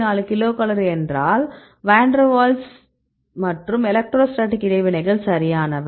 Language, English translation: Tamil, 4 kilocal per mole these the van der waals plus the electrostatic interactions right